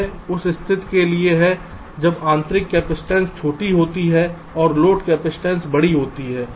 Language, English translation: Hindi, this is for the case when the intrinsic capacitance are small and the load capacitance is larger